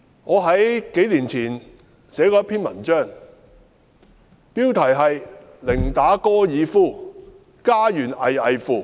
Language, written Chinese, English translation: Cantonese, 我在數年前寫過一篇文章，標題是"寧打高爾夫，家園危危乎"。, A few years ago I wrote an article entitled Playing golf is a preferred option while peoples homes are at stake